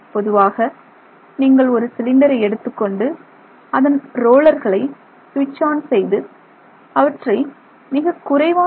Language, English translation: Tamil, So, basically if you take the cylinder, if you switch on the rollers and make them rotate at extremely small RPM